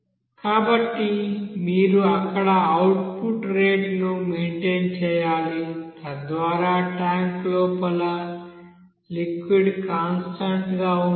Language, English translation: Telugu, So there you have to maintain that output rate there so that the liquid inside the you know tank will be constant